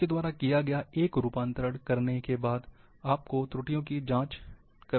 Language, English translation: Hindi, Once you have done is conversion, check for errors